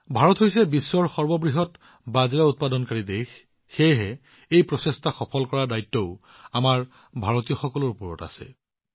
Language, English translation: Assamese, India is the largest producer of Millets in the world; hence the responsibility of making this initiative a success also rests on the shoulders of us Indians